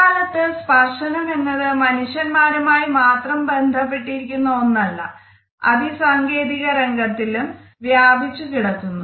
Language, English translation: Malayalam, Nowadays we find that touch is not only related to human beings only, it has got a technological extension also